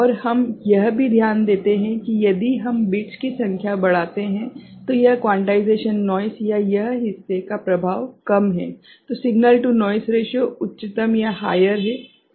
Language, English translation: Hindi, And also we take note that if we increase the number of bits, then this quantization noise or this part is, effect is less signal to noise ratio is higher, right